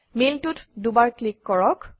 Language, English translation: Assamese, Double click on the mail